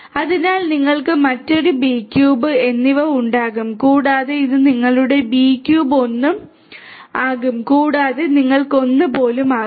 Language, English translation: Malayalam, So, you will have another B cube, another B cube and so on and this one will become your b cube 1 and you can even have 1 1 right